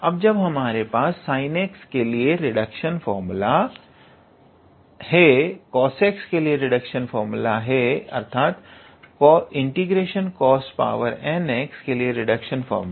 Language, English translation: Hindi, Now, that we have the reduction formula for sine x, the reduction formula for cos x; so reduction formula for cos to the power n x